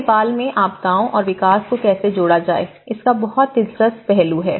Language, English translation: Hindi, Then, Nepal has very interesting aspect of how to connect the disasters and development